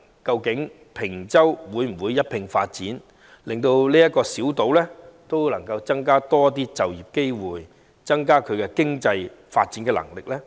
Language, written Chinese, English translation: Cantonese, 究竟坪洲會否一併發展，令這個小島有更多就業機會，提升其經濟發展能力呢？, Will the development of Peng Chau proceed concurrently so as to bring more employment opportunities to this small island and boost its capability of economic development?